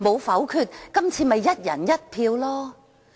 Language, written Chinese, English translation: Cantonese, 否則，今次便可以"一人一票"。, Otherwise this election would have been conducted by one person one vote